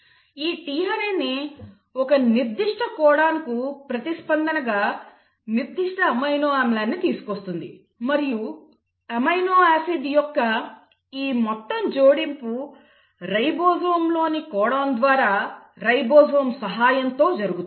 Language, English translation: Telugu, It is the tRNA which in response to a specific codon will bring in the specific amino acid and this entire adding of amino acid happens codon by codon in the ribosome, with the help of ribosome